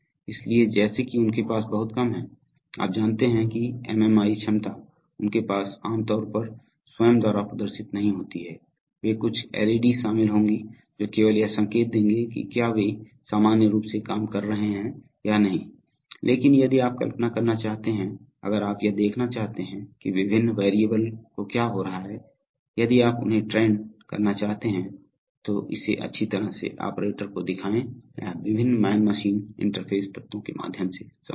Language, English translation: Hindi, So, so as such they have very little, you know MMI capability they do not have generally contain displays by themselves, they will probably contain some LEDs which will just indicate whether they're, whether they’re functioning normally or not, but if you want to visualize, if you want to monitor what is happening to the various variables, if you want to trend them, show it nicely to a, to an operator, it is possible through the various man machine interface elements